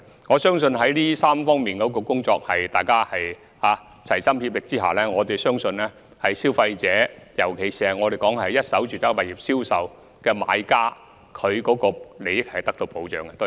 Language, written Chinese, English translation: Cantonese, 我相信在大家齊心協力推動這3方面的工作之下，消費者，尤其是一手住宅物業銷售的買家的利益是會得到保障的。, I believe that with our concerted efforts in implementing the measures in these three areas the interests of consumers in particular those of buyers of first - hand residential properties will be protected